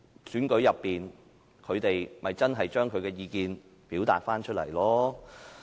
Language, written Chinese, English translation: Cantonese, 長久以來，他們在選舉裏面把意見表達出來。, For a long time they have expressed their views in elections